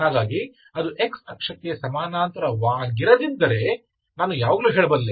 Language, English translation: Kannada, If it is parallel to x axis, then it is 0, okay